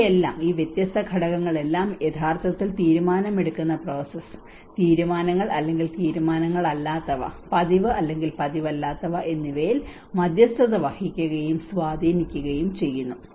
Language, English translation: Malayalam, And these, these all different factors actually mediate and influence the decision making process, decisions or non decisions, routine or non routine